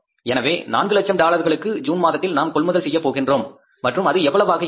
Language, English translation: Tamil, So 400,000 for that we will have to purchase the raw material in the month of June and how much that is going to be